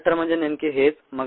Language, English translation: Marathi, that's exactly what a bioreactor is